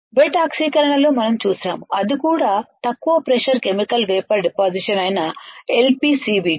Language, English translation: Telugu, That we have seen in the wet oxidation that is also LPCVD that is also Low Pressure Chemical Vapor Deposition